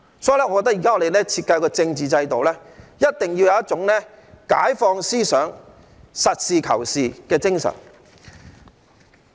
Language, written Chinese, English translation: Cantonese, 所以，我覺得我們現時設計的政治制度一定要有一種解放思想、實事求是的精神。, As such I think the political system currently designed must manifest the spirit of liberation and pragmatism . We need to face the future . We have wasted too much time